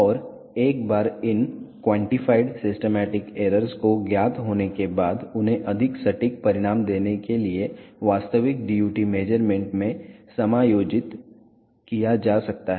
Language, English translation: Hindi, And once these quantified systematic errors are known they can be adjusted in the actual DUT measurements to give more accurate results